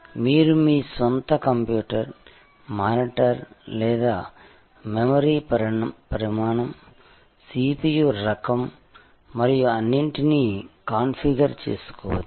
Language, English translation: Telugu, You can configure your own computer, the monitor or the memory size, the kind of CPU and everything